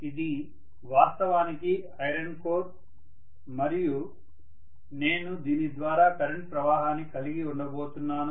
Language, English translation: Telugu, So this is actually the iron core and I am going to have a current pass through this